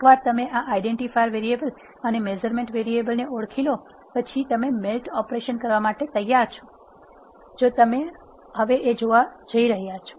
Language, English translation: Gujarati, Once you have identify this identifier variables and measurement variables, you are ready to do the melt operation which you are going to see now